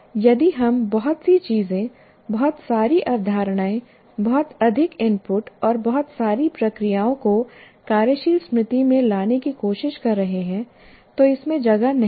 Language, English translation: Hindi, If we are tried to bring too many things, too many concepts, too many inputs, and too many procedures to the working memory, it won't have space